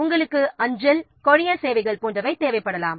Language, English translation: Tamil, You may require postal courier services, etc